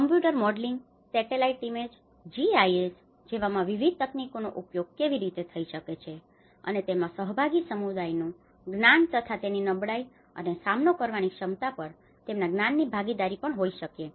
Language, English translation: Gujarati, And how different techniques could be used in using computer modelling, satellite image GIS techniques, and it could be also the participatory the communities knowledge and how their knowledge on the vulnerability and the ability to cope